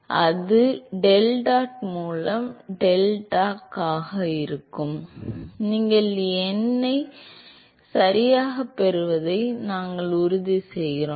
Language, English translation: Tamil, So, that goes as deltac by deltat we make sure that you get the numbers right